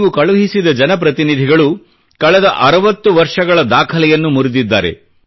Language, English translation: Kannada, The Parliamentarians that you elected, have broken all the records of the last 60 years